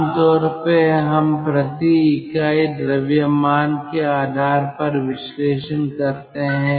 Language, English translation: Hindi, generally we do analysis based on per unit mass